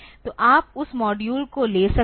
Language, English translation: Hindi, So, you can take that module